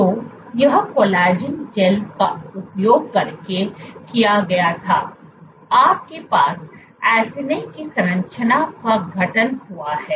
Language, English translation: Hindi, So, this was done using collagen gels, you have the acini structure formed